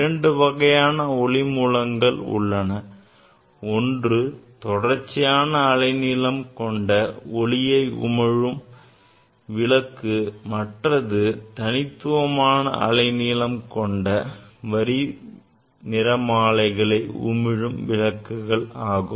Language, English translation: Tamil, There are two ways this light source that emit continuous wavelength and there are light source that emits line spectra discrete wavelength